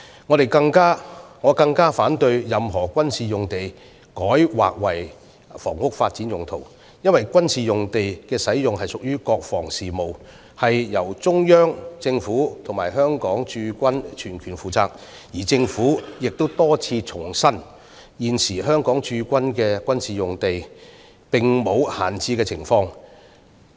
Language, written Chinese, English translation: Cantonese, 我更反對把任何軍事用地改劃作房屋發展用途，因為軍事用地的使用屬國防事務，由中央政府與香港駐軍全權負責，而政府亦多次重申，現時香港駐軍的各個軍事用地並無閒置情況。, I am even more opposed to rezoning any military site for housing development purpose because the use of military sites is a matter of national defence for which the Central Government and the Hong Kong Garrison have sole responsibility . And as repeatedly reiterated by the Government none of the existing military sites of the Hong Kong Garrison is left idle